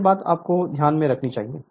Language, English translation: Hindi, This thing you should keep it in your mind right